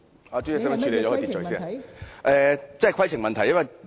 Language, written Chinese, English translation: Cantonese, 我提出的真是規程問題。, What is being raised by me is really a point of order